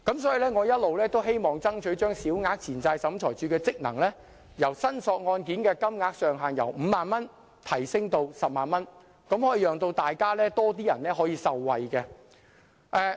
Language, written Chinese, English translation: Cantonese, 所以我一直希望爭取把小額錢債審裁處處理的申索金額上限由5萬元提升至10萬元，讓多一些人受惠。, Therefore concerning the ceiling of claims heard by the Small Claims Tribunal I have been striving for an increase from 50,000 to 100,000 to benefit more people